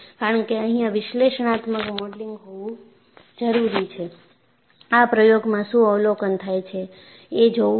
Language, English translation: Gujarati, Because, I need to have an analytical modeling, which explains, what I observed in experiment